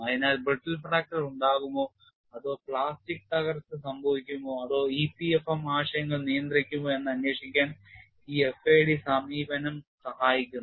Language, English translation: Malayalam, So, this FAD approach helps to investigate whether brittle fracture would occur or plastic collapse would occur or will it be controlled by e p f m concepts